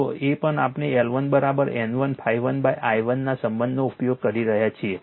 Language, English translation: Gujarati, So, same relation we are using L 1 is equal to N 1 phi 1 upon i 1